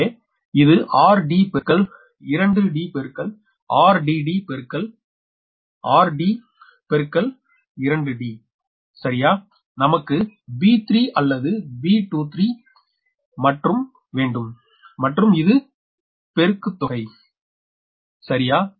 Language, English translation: Tamil, so it will be r, d into two, d into r, d, d into r, d into two, d right, because we want to b three or b two, three on this one and this one product same